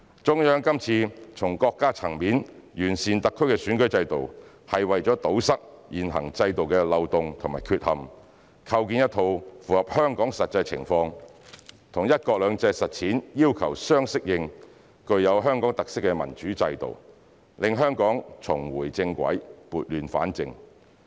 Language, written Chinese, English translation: Cantonese, 中央今次從國家層面完善特區選舉制度，是為了堵塞現行制度的漏洞和缺陷，構建一套符合香港實際情況、與"一國兩制"實踐要求相適應、具有香港特色的民主制度，讓香港重回正軌、撥亂反正。, This time the Central Authorities improve the electoral system of SAR at the State level to plug the loopholes in and eliminate the deficiencies of the existing system . Through constructing a democratic electoral system that reflects the actual situation of Hong Kong fully conforms to the constitutional order under the one country two systems principle and manifests Hong Kong characteristics Hong Kong can get back on track and restore law and order